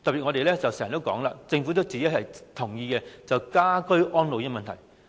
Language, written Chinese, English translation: Cantonese, 我們經常提到，而政府也同意要解決家居安老的問題。, We often ask to resolve the problem of ageing in place to which the Government also agrees